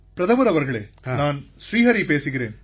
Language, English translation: Tamil, Prime Minister sir, I am Shri Hari speaking